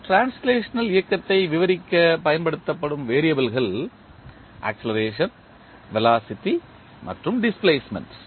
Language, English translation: Tamil, The variables that are used to describe translational motion are acceleration, velocity and displacement